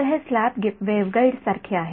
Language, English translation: Marathi, So, it is like a slab waveguide right